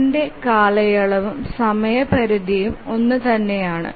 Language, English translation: Malayalam, Its period and deadline are the same